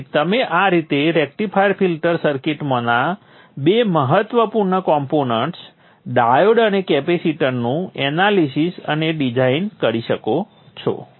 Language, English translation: Gujarati, So this is how you would go about analyzing and designing the two important components in the rectifier filter circuit which is the diode and the capacitor